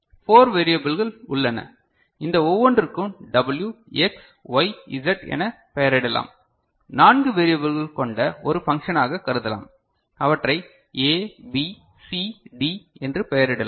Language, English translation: Tamil, So, there are 4 variables, we can name them each of this W, X, Y, Z we can consider as a function of four variables we can name them as A, B, C, D ok